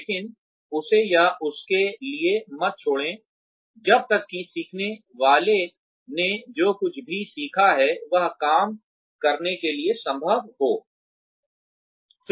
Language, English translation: Hindi, But, do not abandon him or her, till the learner has learnt whatever there is to learn, in order to do the job as well as possible